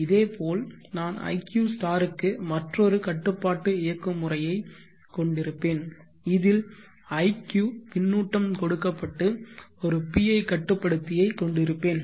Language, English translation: Tamil, Similarly, I will have another control mechanism for iq*, iq is fed back and I will have a PI controller